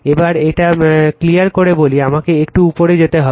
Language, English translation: Bengali, Now, let me clear it let me move little bit up right